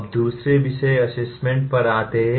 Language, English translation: Hindi, Now come to the another topic “assessment”